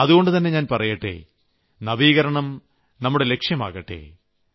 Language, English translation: Malayalam, And that is why I say 'let us aim to innovate'